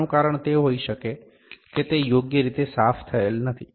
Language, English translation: Gujarati, The reason for this might be that, it is not cleaned properly